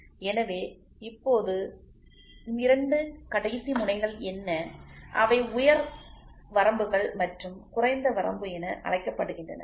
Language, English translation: Tamil, So, now, what are the two extreme ends are called as upper limits and lower limit